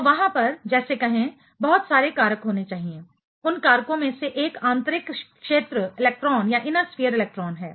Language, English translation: Hindi, So, there are let us say lot of factors; one of those factors is inner sphere electron